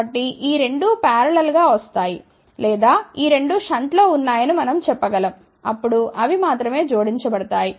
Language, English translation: Telugu, So, that is how these 2 comes in parallel or we can say these 2 are in shunt, than only they are added ok